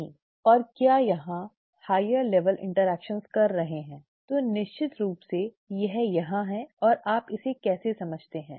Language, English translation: Hindi, And are there higher level interactions, ya definitely there are and how do you go about understanding this